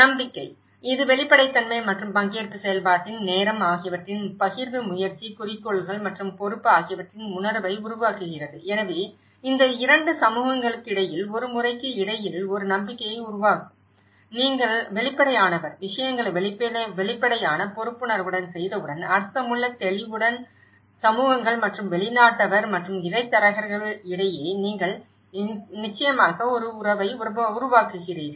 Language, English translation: Tamil, The trust; it is a result of transparency and the time in the participatory process creating a sense of shared effort, goals and responsibility so, this 2 will obviously build a trust between the communities between once, you are transparent, once you make things transparent, accountable, meaningful, with clarity and that is where you will definitely build a relationship between communities and outsider and the intermediaries